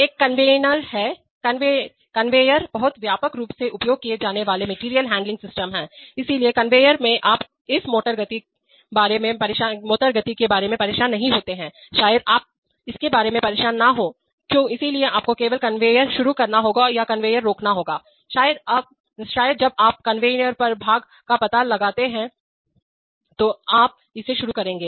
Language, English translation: Hindi, There is a conveyors, conveyors are very widely used material handling systems, so in conveyors you do not bother about what is going to be the motor speed, maybe you do not bother about that, so you only have to start the conveyor or stop the conveyor, maybe when you detect the part on the conveyor, you will start it